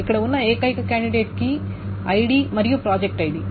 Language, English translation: Telugu, The only candidate key here is ID and project ID